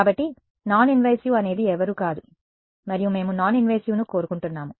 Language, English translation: Telugu, So, non invasive is a nobody and that we want noninvasive right